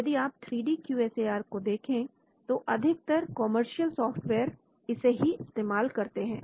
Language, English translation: Hindi, If you look at 3D QSAR, most of the commercial softwares use this